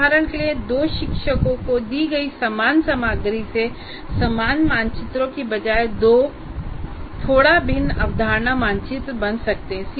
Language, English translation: Hindi, For example, the same content that is given to two teachers, they may create the two slightly different concept maps rather than the identical ones